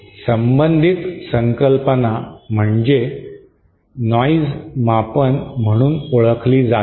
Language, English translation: Marathi, A related concept is what is known as a noise measure